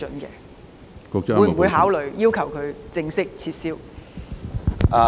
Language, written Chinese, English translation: Cantonese, 局方會否考慮要求德國正式撤銷該批准？, Will the authorities consider requesting Germany to revoke the approval officially?